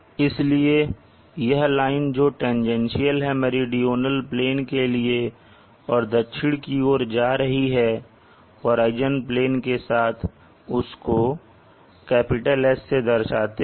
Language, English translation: Hindi, So this line which goes tangential to the meridional plane going down south along the horizon plane will be denoted as S